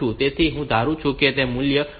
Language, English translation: Gujarati, So, I assume that the value is 1000